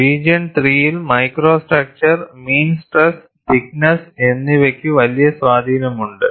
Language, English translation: Malayalam, And in region 3, micro structure, mean stress and thickness have a large influence